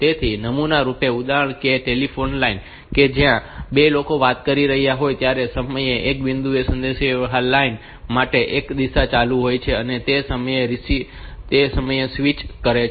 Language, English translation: Gujarati, So, typical example is the telephone line where two people are talking, at one point of time at one point of time the line is in one direction only, and it switches continually and